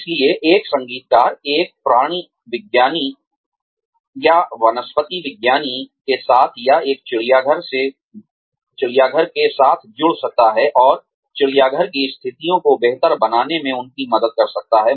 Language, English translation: Hindi, So, a musician could tie up, with a zoologist or a botanist, or with a zoo, and help them improve the zoo conditions